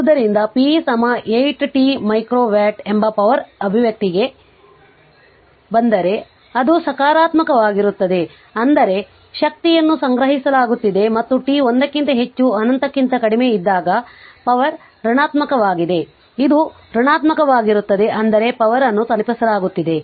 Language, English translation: Kannada, So, if you come to the power expression p that 8 t micro watt, so it is positive that means, energy is being stored and when power is negative when t greater than 1 less than infinity it is negative, that means power is being delivered